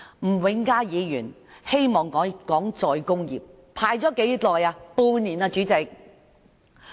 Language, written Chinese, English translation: Cantonese, 吳永嘉議員希望討論再工業化，輪候了多少時間？, Mr Jimmy NG wants to discuss re - industrialization; yet how long has he been waiting?